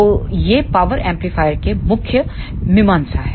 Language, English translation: Hindi, So, these are the main considerations of power amplifier